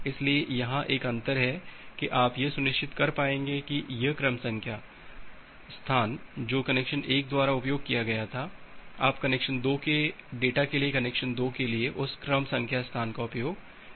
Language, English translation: Hindi, So, there is a difference here such that you will be able to ensure that this sequence number space which was been used by connection 1, you are not going to use that sequence number space for the connection 2 for the data of connection 2